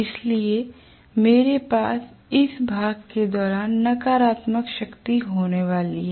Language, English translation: Hindi, So I am going to have the power negative during this portion